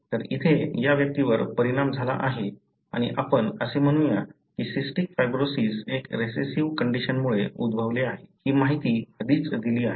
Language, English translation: Marathi, So here, this individual is affected and let us say cystic fibrosis is resulting from a recessive condition; that is what the information already given